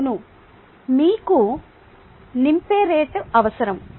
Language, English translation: Telugu, yes, you need the rate of filling